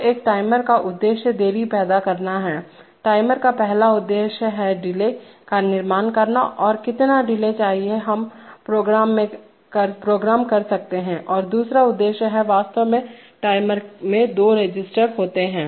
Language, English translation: Hindi, So the purpose of a timer is to create the delay, how much delay that can be programmed number one and number two is that the timer actually, you know it is the basic idea of a timer is that there are two registers